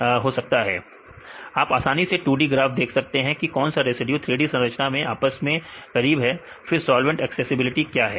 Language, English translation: Hindi, 2 D graphs you can easily see right which residues are close to each other in the 3D structures based on this graph; then what is solvent accessibility